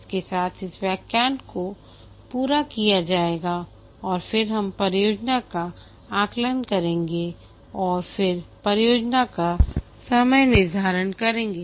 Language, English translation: Hindi, With this we'll be completing this lecture and then we'll take up estimation of the project and then scheduling of the project